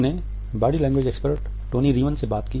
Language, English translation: Hindi, We spoke to the body language expert Tonya Reiman